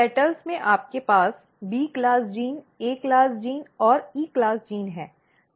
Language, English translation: Hindi, In petals if you look this is petal in petal you have B class gene A class gene and E class gene